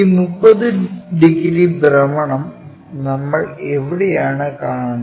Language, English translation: Malayalam, Where do we observe this 30 degrees rotation